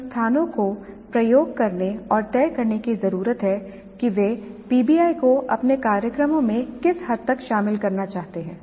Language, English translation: Hindi, Institutes need to experiment and decide on the extent to which they wish to incorporate PBI into their programs